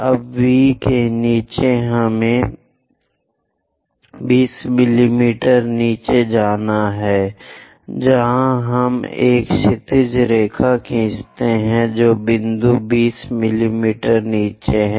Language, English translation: Hindi, Now below V we have to go by 20 mm, where we are going to draw a horizontal line, the point 20 mm below